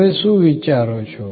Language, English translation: Gujarati, What you think